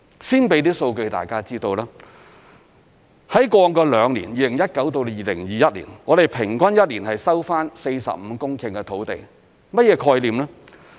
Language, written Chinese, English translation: Cantonese, 先提供一些數據讓大家知道，在過往兩年，即2019年至2021年，我們平均一年收回45公頃土地。, First I would like to brief Members on some figures . In the past two years from 2019 to 2021 we have recovered an average of 45 hectares of land every year